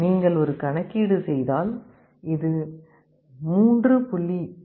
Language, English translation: Tamil, If you make a calculation this comes to 3